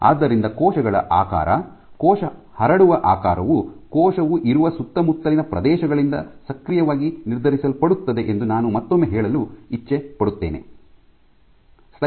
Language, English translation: Kannada, So, I also like to emphasize that cells are you know the spread shape of a cell is actively determined by the surroundings in which the cell lies